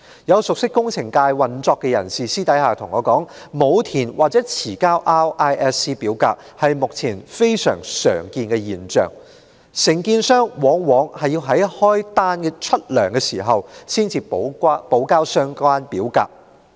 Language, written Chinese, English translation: Cantonese, 有熟悉工程界運作的人士私下告訴我，沒有填寫或遲交 RISC 表格的現象如今非常普遍，承建商往往在支取工程費用時才補交相關表格。, A person well versed in the operation of the engineering sector has told me in private that the failure to fill out or delayed submission of RISC forms are very common phenomena these days with contractors submitting them retrospectively only when the construction payment for them is due